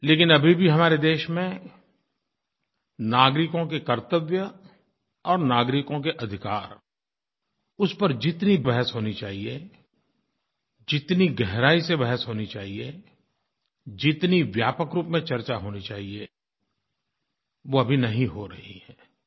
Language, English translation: Hindi, But still in our country, the duties and rights of citizens are not being debated and discussed as intensively and extensively as it should be done